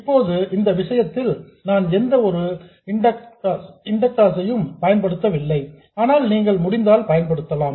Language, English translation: Tamil, In our case we are not using any inductors but you could